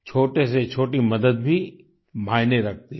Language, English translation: Hindi, Even the smallest help matters